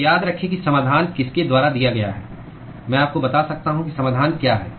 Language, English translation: Hindi, So, remember that the solution is given by I can give you what the solution is